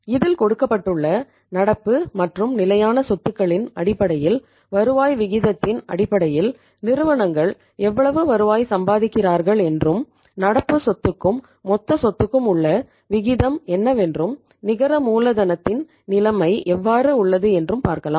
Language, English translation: Tamil, On the basis of the extent of current and fixed assets and on the basis of the rate of return there we have you see that now what the company is earning and what is the ratio of current asset to total assets and what is the net working capital situation